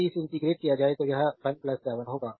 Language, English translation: Hindi, If you integrate this it will be your 1 plus 7